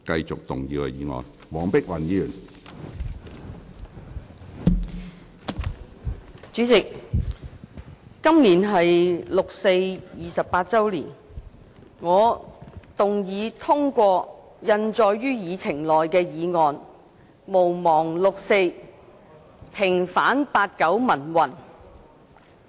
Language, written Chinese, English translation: Cantonese, 主席，今年是六四28周年，我動議通過印載於議程內的議案：毋忘六四，平反八九民運。, President this year marks the 28 anniversary of the 4 June incident . I move that the motion that the 4 June incident be not forgotten and the 1989 pro - democracy movement be vindicated as printed on the Agenda be passed